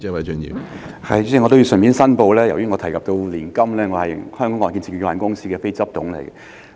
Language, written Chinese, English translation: Cantonese, 主席，我要順便申報，由於我提到年金，我是香港按揭證券有限公司的非執行董事。, President as I have mentioned annuities I have to declare that I am a non - executive director of The Hong Kong Mortgage Corporation Limited . Chief Executive I would like to follow up on my question